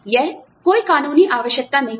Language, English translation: Hindi, This is not a legal requirement